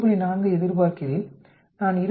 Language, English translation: Tamil, 4, I expect 20